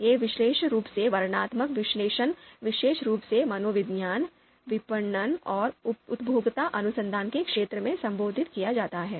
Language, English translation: Hindi, (This is, you know) this particular descriptive analysis is particularly addressed in the fields of psychology, marketing and consumer research